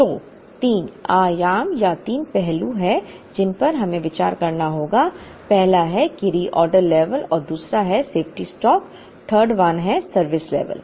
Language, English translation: Hindi, So, there are three dimensions or three aspects that we will have to consider so, the first one is the reorder level and the 2nd one is the safety stock, the 3rd one is the service level